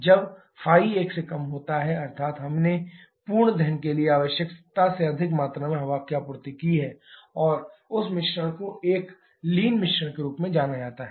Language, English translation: Hindi, When ϕ is less than one that means we have supplied more amount of air than required for complete combustion and that mixture is known as a lean mixture